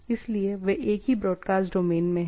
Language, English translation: Hindi, So, they are in the same broadcast domain